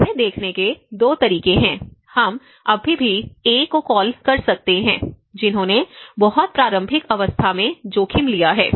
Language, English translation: Hindi, There are 2 ways of looking at it; we can still call the A who have taken a risk in a very initial state, how we have adopted